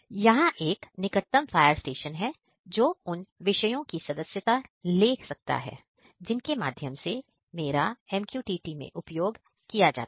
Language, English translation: Hindi, Here is a nearest fire station which can subscribe the topics through which are used in a my MQTT